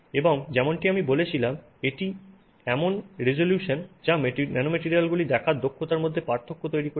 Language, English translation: Bengali, And as I said, it is the resolution that made the difference in our ability to see the nanomaterials